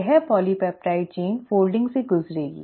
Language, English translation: Hindi, This polypeptide chain will undergo foldin